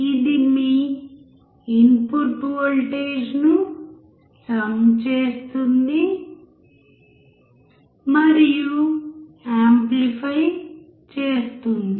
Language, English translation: Telugu, it sums your input voltage, and it also amplifies it